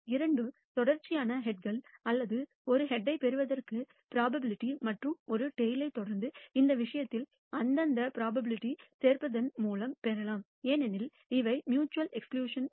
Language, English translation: Tamil, The probability of either receiving two successive heads or a head and followed by a tail can be obtained in this case by simply adding their respective probabilities because they are mutually ex clusive events